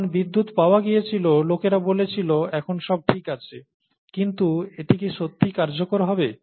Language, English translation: Bengali, When electricity was found, people said all this is fine, but, is it really going to be useful